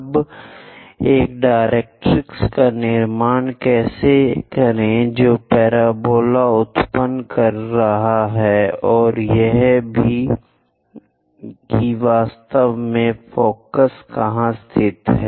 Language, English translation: Hindi, Now, how to construct a directrix which is generating parabola and also where exactly focus is located, for this let us look at the picture